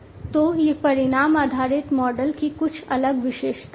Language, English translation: Hindi, So, these are some of the different features of the outcome based model